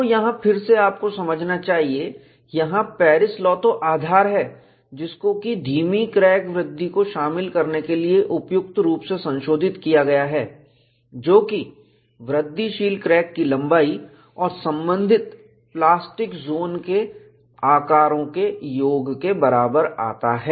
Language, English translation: Hindi, So, here again you should appreciate, the basic kernel is Paris law, which is suitably modified to account for retarded crack growth, which again comes in terms of what is a incremental crack length plus the respective plastic zone sizes